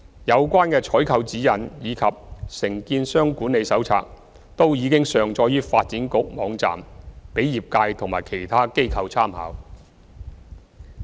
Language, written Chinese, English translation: Cantonese, 有關的採購指引及《承建商管理手冊》均已上載於發展局網站，供業界及其他機構參考。, The relevant procurement guidelines and the Contractor Management Handbook have been uploaded onto the website of the Development Bureau for reference by the industry and other organizations